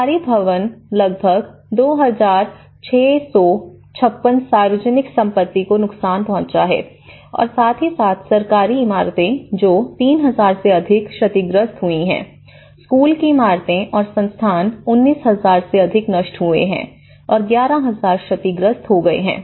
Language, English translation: Hindi, Public properties like government buildings about 2,656 have been damaged, destroyed and as well as government buildings which is above more than 3,000 have been damaged, school buildings, institutional they have been again destroyed more than 19,000 have been destroyed and 11,000 have been damaged